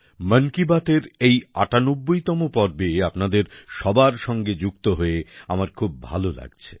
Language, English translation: Bengali, I am feeling very happy to join you all in this 98th episode of 'Mann Ki Baat'